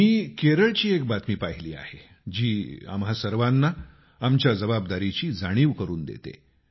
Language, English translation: Marathi, I have seen another news from Kerala that makes us realise our responsibilities